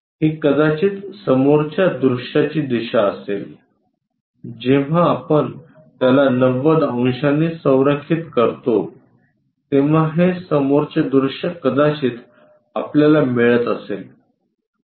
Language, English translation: Marathi, This possibly a front view direction when we are making that front view kind of thing 90 degrees aligning it we may be getting this one